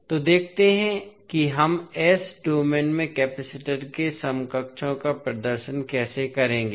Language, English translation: Hindi, So, let us see how we will represent the equivalents of capacitor in s domain